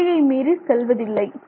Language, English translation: Tamil, It does not overshoot